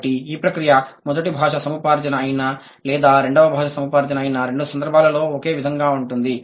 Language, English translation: Telugu, So, this process remains same in both cases, whether it is first language acquisition or second language acquisition